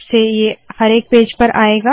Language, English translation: Hindi, Now this is going to come on every page